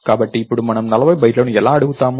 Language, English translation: Telugu, So, now how do we ask for 40 bytes